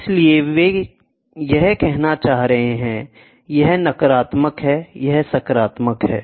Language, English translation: Hindi, So, what they are trying to say this is; this is negative, this is positive